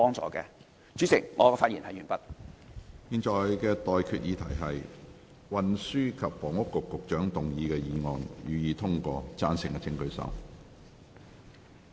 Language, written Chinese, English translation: Cantonese, 我現在向各位提出的待決議題是：運輸及房屋局局長動議的議案，予以通過。, I now put the question to you and that is That the motion moved by the Secretary for Transport and Housing be passed